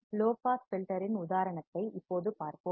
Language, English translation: Tamil, Let us now see an example of low pass filter